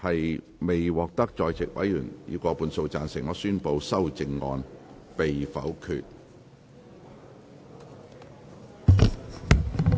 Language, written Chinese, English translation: Cantonese, 由於議題未獲得在席委員以過半數贊成，他於是宣布修正案被否決。, Since the question was not agreed by a majority of the Members present he therefore declared that the amendment was negatived